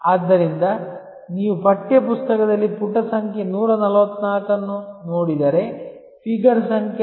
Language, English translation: Kannada, So, if you look at page number 144 in the text book, there is a figure number 6